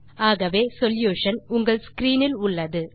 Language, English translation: Tamil, The solution is on your screen